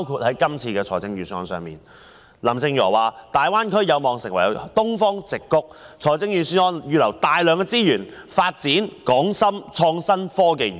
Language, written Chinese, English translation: Cantonese, 在這份預算案中，由於林鄭月娥指大灣區有望成為東方矽谷，於是預算案預留了大量資源發展港深創新及科技園。, In this Budget in response to Carrie LAMs remarks that the Greater Bay Area has the potential to become the Silicon Valley of the East a considerable amount of resources have been set aside for the development of the Hong Kong - Shenzhen Innovation and Technology Park